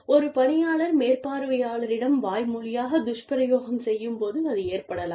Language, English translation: Tamil, It may occur, when an employee is, verbally abusive, to the supervisor